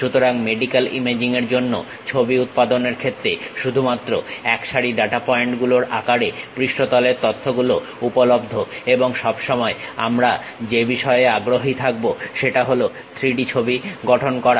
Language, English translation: Bengali, So, for medical imaging image generation surface data is available only in the form of set of data points and what we all all the time interested is constructing that 3D image